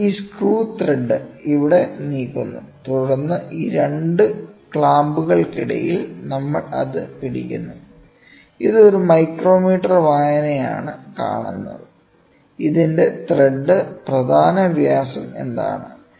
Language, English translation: Malayalam, We move this put the screw thread here and then between these 2 clamps we hold it, at that this is seen by a micrometer reading, what is the thread major diameter reading of it